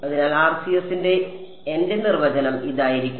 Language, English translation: Malayalam, So, my definition of RCS will be